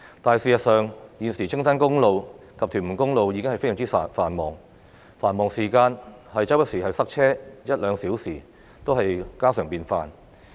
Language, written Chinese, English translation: Cantonese, 但事實上，現時青山公路及屯門公路的交通已經非常繁忙，繁忙時間塞車一兩小時也是家常便飯。, But in fact traffic on Castle Peak Road the Tuen Mun Road is now already bursting at the seams . During rush hours congestion lasting an hour or two is nothing but a common occurrence